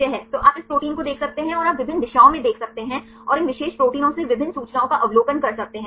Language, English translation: Hindi, So, you can view this protein and you can view in different directions and also you can observe various information from these particular proteins right